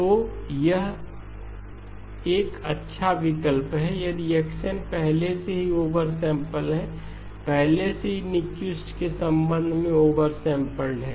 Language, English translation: Hindi, So it is a good option if x of n is already over sample, is already over sampled with respect to Nyquist